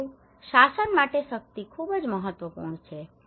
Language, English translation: Gujarati, But for the governance power is very important